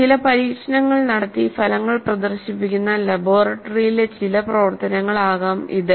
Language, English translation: Malayalam, It can be some activity in the laboratory where certain experiments are conducted and the results are demonstrated